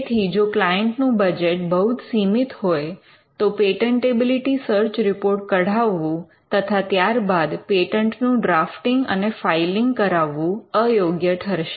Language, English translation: Gujarati, So, if the client operates on a tight budget, then it would not be advisable to go in for patentability search report followed by the filing and drafting of a patent itself